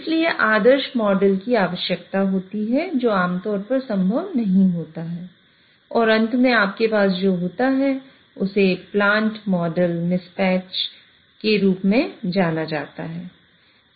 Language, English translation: Hindi, So, perfect model is required, which is typically not possible and what you end up with having is known as a plant model mismatch